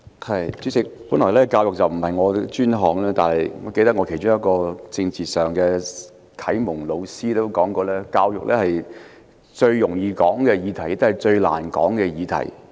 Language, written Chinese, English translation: Cantonese, 代理主席，教育本來並非我的專項，但我其中一位政治啟蒙老師說過，教育是最容易、也是最難討論的議題。, Deputy President while I am not well versed in education one of my political mentors has said that education is the easiest and also the most difficult topic for a discussion